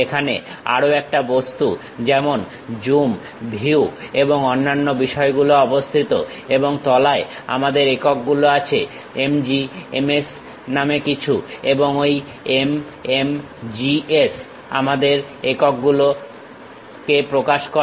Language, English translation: Bengali, There is another object here Zoom, Views and other things are located, and bottom we have units something named MMGS and this MMGS represents our units